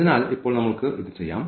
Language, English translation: Malayalam, So, here now let us do this